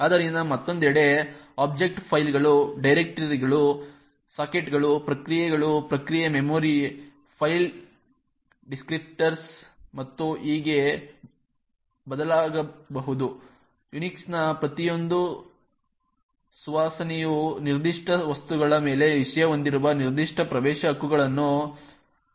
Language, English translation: Kannada, So, object on the other hand can vary from files, directories, sockets, processes, process memory, file descriptors and so on, each flavour of Unix defines a certain set of access rights that the subject has on the particular objects